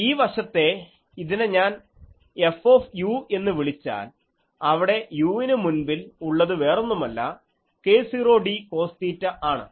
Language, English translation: Malayalam, So, this side is if I call it F u where again now it has before u is nothing but our k 0 d cos theta